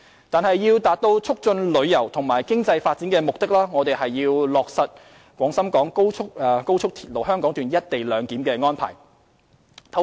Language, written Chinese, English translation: Cantonese, 但是，要達到促進旅遊和經濟發展的目的，我們要落實高鐵"一地兩檢"安排。, Nevertheless for the sake of promoting tourism and economic development the co - location clearance arrangement must be implemented for XRL